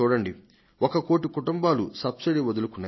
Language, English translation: Telugu, Here, these one crore families have given up their subsidy